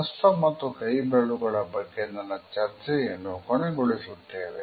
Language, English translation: Kannada, I would conclude my discussion of hands and fingers here